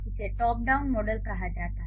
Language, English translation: Hindi, This is called the top down model